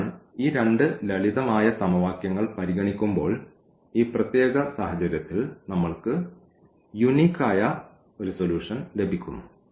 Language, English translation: Malayalam, So, in this particular situation when we have considered these two simple equations, we are getting unique solution